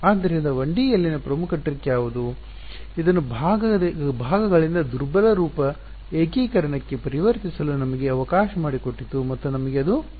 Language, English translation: Kannada, So, what was the key trick in 1D that allowed us to convert this to weak form integration by parts and we needed that because